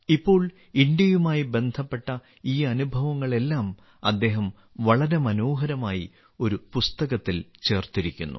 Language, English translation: Malayalam, Now he has put together all these experiences related to India very beautifully in a book